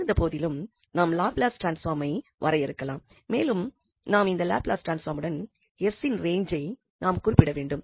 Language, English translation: Tamil, So, still we can define this Laplace transform and then we have to mention that the range of s together with this Laplace transform